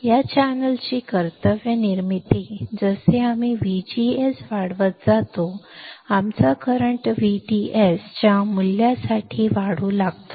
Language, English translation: Marathi, Duty formation of this channel as we go on increasing V G S, our current starts increasing for value of V D S